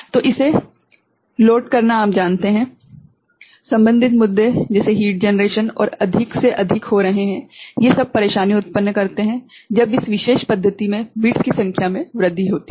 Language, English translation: Hindi, So, the loading of it the you know, associated issues like heat generation and all is becoming more and more you know troublesome, when the number of bits increase in this particular method ok